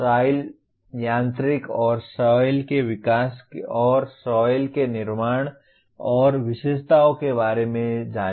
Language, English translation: Hindi, Know about soil and development of soil mechanics and soil formation and characteristics of soil